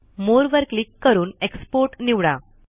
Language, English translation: Marathi, Click More and select Export